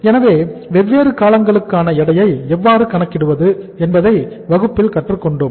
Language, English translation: Tamil, So we have learnt in the class that how to calculate the weights for the different durations